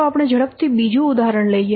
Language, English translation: Gujarati, So let's take quickly another example